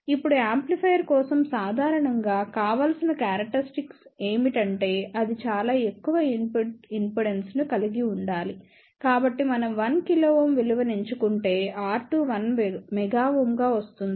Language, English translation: Telugu, Now for an amplifier generally desirable characteristic is that it should have a very high input impedance; so that means, if we choose the value of 1 kilo ohm, then R 2 comes out to be 1 mega ohm